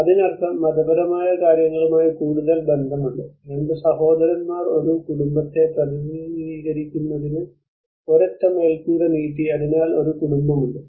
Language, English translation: Malayalam, So which means it is more to do with the religious aspects, two brothers have extended one single roof to represent a family belonging, so there is a family